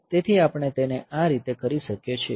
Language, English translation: Gujarati, So, we can do it like this